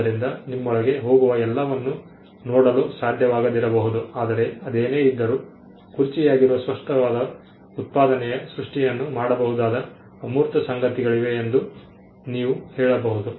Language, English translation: Kannada, So, all that goes into you may not be able to see it in you may not be able to see it, but nevertheless you can say that there are intangible things that have gone into the creation of the tangible output which is the chair